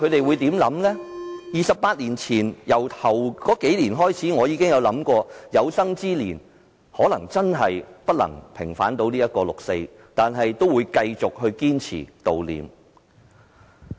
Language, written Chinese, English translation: Cantonese, 回想28年前，我在首數年真的有想過，可能有生之年都無法平反六四，但我仍會堅持悼念。, Looking back 28 years ago I did think in the first few years that the 4 June pro - democracy movement would not be vindicated within my lifetime